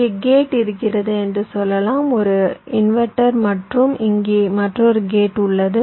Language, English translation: Tamil, so what i mean is something like this: let say there is a gate here, say an inverter, there is another gate here